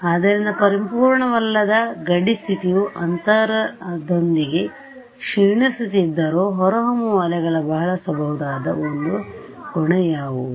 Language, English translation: Kannada, So, what is the one property of evanescent waves that you can utilize even though the boundary condition is not perfect they decay with space right